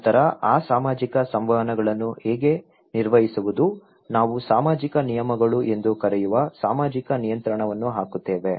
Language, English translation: Kannada, Then so, how to maintain that social interactions, we put social control that we called social norms okay